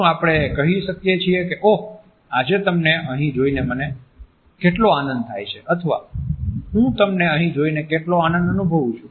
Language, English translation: Gujarati, Do we say, oh how happy I am to see you here today or do we say it how happy I am to see you here today